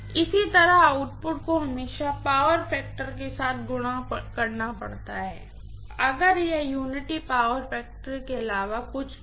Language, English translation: Hindi, Similarly, the output has to be always multiplied with the power factor, if it is anything other than unity power factor